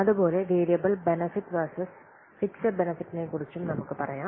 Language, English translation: Malayalam, Similarly, let's say about fixed benefits versus variable benefits